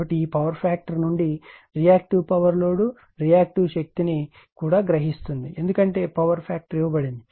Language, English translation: Telugu, So, from this power factor you can find out also is reactive power absorb right load reactive power also because power factor is given